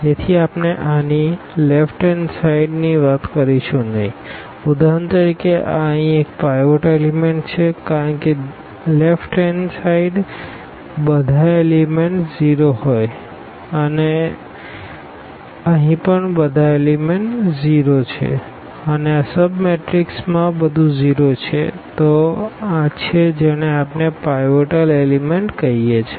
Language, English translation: Gujarati, So, we will not be talking about the left to this one for instance this one here this is the pivot element because everything to the left all the elements are 0 and here also all the elements are 0 and in this sub matrix everything is 0; so this is we call the pivot element